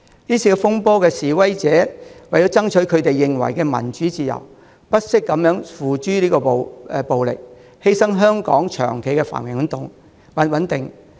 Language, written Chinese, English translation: Cantonese, 這次風波的示威者為了爭取他們認為的民主自由，不惜付諸暴力，犧牲香港長期的繁榮穩定。, In order to fight for their purported democracy and freedom protesters in this row have shown no hesitation in resorting to violence at the cost of Hong Kongs long - term prosperity